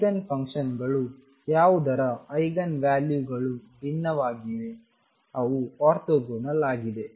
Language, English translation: Kannada, The Eigenigen functions whose Eigen values are different, they are orthogonal